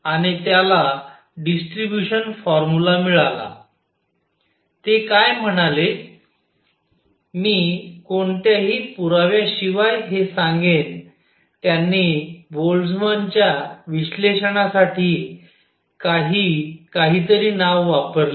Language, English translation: Marathi, And he got a distribution formula what he said is I will I will just state this without any proof he used some name call the Boltzmann’s analysis